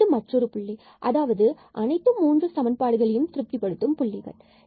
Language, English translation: Tamil, This is another point which satisfies all these equations